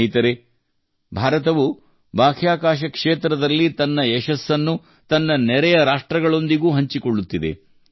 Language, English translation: Kannada, Friends, India is sharing its success in the space sector with its neighbouring countries as well